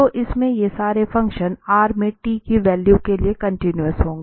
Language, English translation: Hindi, So, in that case, this function, the given function is continuous for all t in r